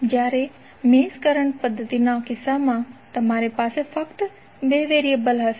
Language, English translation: Gujarati, While in case of mesh current method, you will have only 2 variables